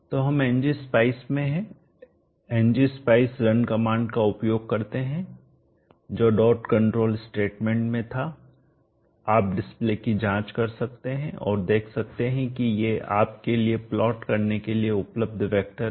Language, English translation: Hindi, So we are in NG specie NG specie as use the run command which was there in the dot control statement you can check the display and see that these are the vectors available for you to plot